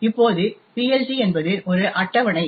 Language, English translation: Tamil, Now PLT is a table which looks something like this